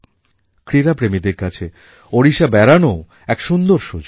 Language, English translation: Bengali, This is a chance for the sports lovers to see Odisha